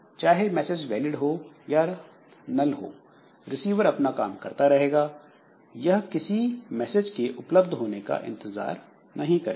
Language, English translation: Hindi, So, so whether the valid message or null message with that the receiver will continue but receiver will not wait for the message to be available